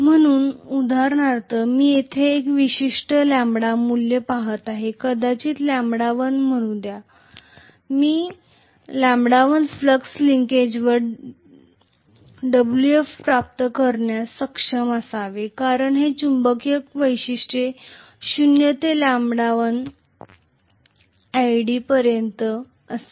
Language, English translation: Marathi, So for example, if I am looking at a particular lambda value here maybe this lambda is let us say lambda 1, I should be able to get W f at lambda 1 flux linkage, for this magnetization characteristic will be zero to lambda 1 i d lambda